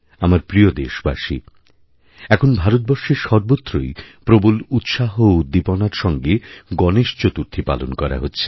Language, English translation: Bengali, My dear countrymen, Ganesh Chaturthi is being celebrated with great fervor all across the country